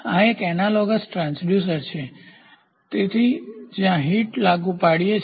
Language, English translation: Gujarati, So, this is an analogous transducer; so, where heat is applied